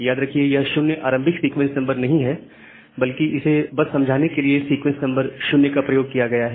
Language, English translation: Hindi, So, remember that 0 is not the initial sequence number rather here just for explanation we are utilizing this sequence number as 0